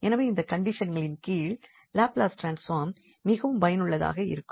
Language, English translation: Tamil, So, suppose and under these condition this Laplace transform is very much useful